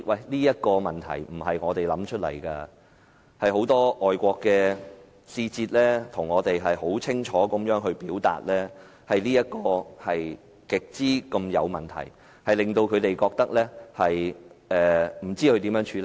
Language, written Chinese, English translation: Cantonese, 這些問題不是我們想出來的，是很多外國使節清楚地向我們表示，此事極有問題，他們不知應如何處理。, But these questions were not imagined by us . Many foreign diplomats have clearly told us that there is a serious problem with this matter . They do not know how to deal with it